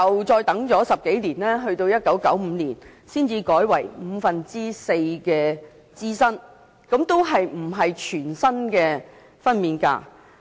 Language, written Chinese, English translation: Cantonese, 再過了10多年後，在1995年才改為支薪五分之四，仍然未有全薪分娩假。, More than 10 years later in 1995 the rate of maternity leave pay was raised to four fifths of the employees wages